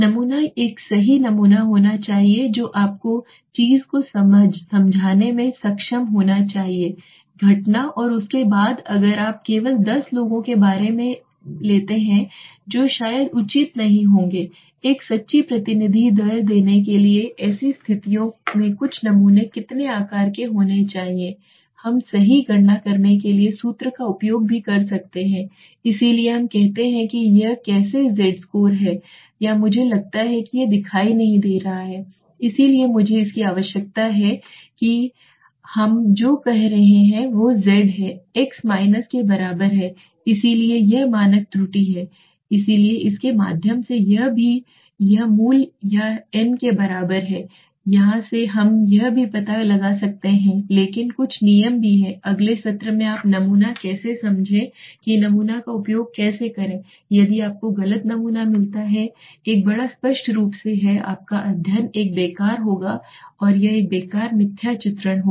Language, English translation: Hindi, That the sample should be a correct sample you should be able to explain the thing the phenomena and then after that if you take only maybe about 10 people that might not be justified to give a true representative rate so in such situations how many what should be the some sample size right before why we can use also formula to calculate right so we say this is how from the z score or I think this is not be visible I need to so what we will do is Z is equal to X minus so this is one this is my standard error so through this also that this being this is equal to root or n so from here also we can find out but there are some thumb rules also which I will explain in the next session how do you understand sample how to use sample if you get a wrong sample then there is a large obviously your study would be a fruitless and it will be a waste so and misrepresentative